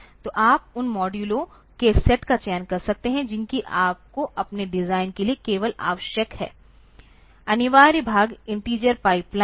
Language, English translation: Hindi, So, you can select the set of modules that you need for your design only mandatory part is the integer pipeline